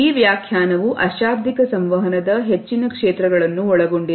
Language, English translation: Kannada, This definition covers most of the fields of nonverbal communication